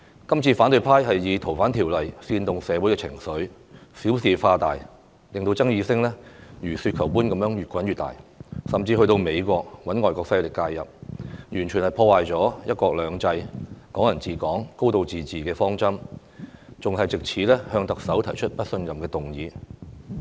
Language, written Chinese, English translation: Cantonese, 這次反對派以《逃犯條例》煽動社會情緒，小事化大，令爭議聲如雪球般越滾越大，甚至去到美國找外國勢力介入，完全破壞"一國兩制"、"港人治港"、"高度自治"的方針，還藉此提出不信任特首的議案。, The opposition camp has used the Fugitive Offenders Ordinance FOO to incite social sentiments and made a mountain out of a molehill so as to snowball the controversies . They have even sought foreign influence from the United States completely destroying one country two systems Hong Kong people ruling Hong Kong and a high degree of autonomy . On top of that they have taken this opportunity to propose a motion of no confidence in the Chief Executive